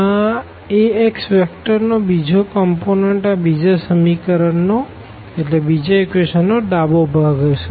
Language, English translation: Gujarati, The second component of this vector A x will be the left hand side of the second equation and so on